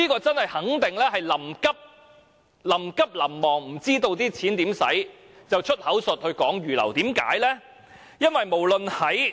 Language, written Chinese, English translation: Cantonese, 這肯定是臨急臨忙，不知要如何花費這些金錢，而"出口術"將之預留作上述用途，何解？, These must be measures devised in a hurry . The Government actually has not decided how the money should be used so it simply plays a trick saying that money has been earmarked